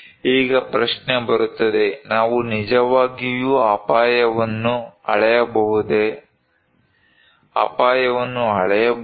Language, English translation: Kannada, Now, the question comes, can we really measure risk, can risk be measured